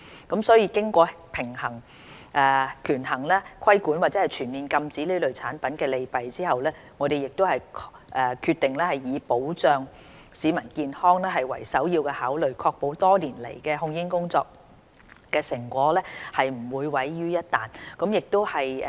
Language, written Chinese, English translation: Cantonese, 經權衡規管或全面禁止這類產品的利弊後，我們決定以保障市民健康為首要考慮，確保多年來控煙工作的成果不會毀於一旦。, After weighing the pros and cons of a regulatory approach as opposed to a full ban we have decided that the protection of public health is the prime consideration and we have to ensure the achievements of our tobacco control efforts will not be wasted overnight